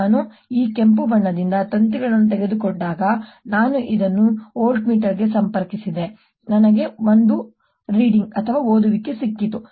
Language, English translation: Kannada, when i took the wires from this red side, i connected this to a voltmeter, i got one reading